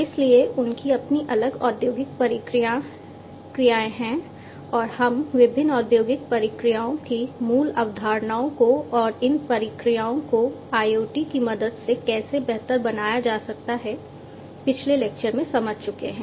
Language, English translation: Hindi, So, they have their own different industrial processes and we have gone through the basic concepts of different industrial processes and how these processes can be improved with the help of IoT in the previous lecture